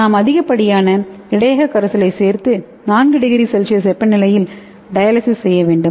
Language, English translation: Tamil, And when you add excess buffer solution and you will be dialyzing under stirring condition at 4º